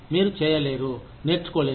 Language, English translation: Telugu, You just cannot, not learn